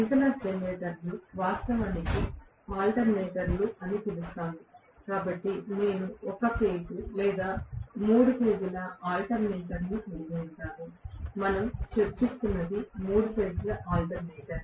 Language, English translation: Telugu, Synchronous generators are in actually known as alternators, so I can have a single phase or three phase alternator, what we are discussing is three phase alternator, right